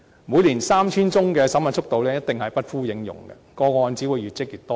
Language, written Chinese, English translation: Cantonese, 每年 3,000 宗的審核速度，一定不敷應用，個案只會越積越多。, Given the speed of screening 3 000 cases a year the authorities will not be able to cope and the backlog of cases will only grow